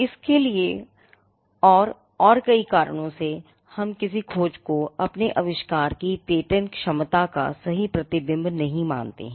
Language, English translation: Hindi, Now for this and for many more reasons we do not consider a search to be a perfect reflection of patentability of our invention